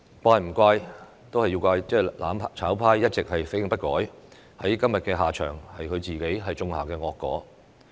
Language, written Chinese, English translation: Cantonese, 只能怪"攬炒派"一直死性不改，今天的下場是他們自己種下的惡果。, The mutual destruction camp can only blame themselves for being stubborn and refusing to change all along . Their tragic ending is the evil consequence that they have to bear today